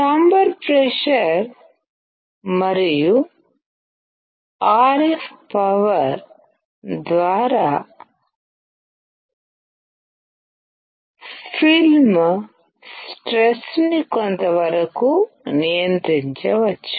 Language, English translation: Telugu, The film stress can be controlled to some degree by chamber pressure and RF power